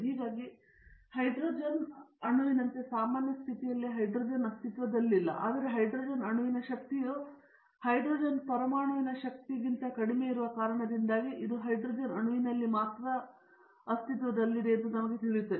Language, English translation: Kannada, Therefore, we will know, now hydrogen cannot exist in the normal conditions as hydrogen atom, but it can exists only hydrogen molecule because the energy of the hydrogen molecule is lower than that of the energy of the hydrogen atom